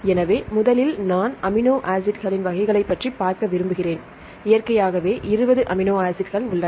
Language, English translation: Tamil, So, first I like to see about the types of amino acids, there are 20 naturally occurring amino acids right